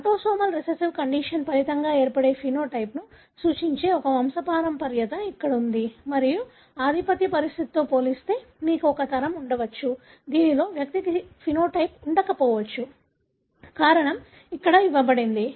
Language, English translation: Telugu, Here is a pedigree that represents a phenotype resulting from autosomal recessive condition and as compared to the dominant condition you may have a generation in which the individual may not have the phenotype, the reason being given here